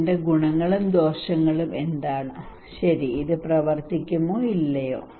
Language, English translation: Malayalam, What are the merits and demerits of it okay, will it work or not